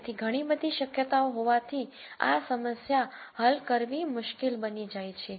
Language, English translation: Gujarati, So, since there are many many possibilities these become harder problems to solve